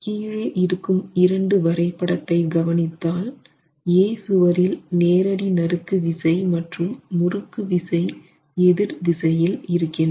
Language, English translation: Tamil, Now when you look at these two figures at the bottom you can see on wall A, the direct shear and the torsional shear in this particular case are in opposing directions